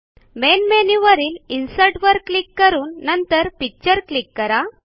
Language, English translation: Marathi, Click on Insert from the Main menu and then click on Picture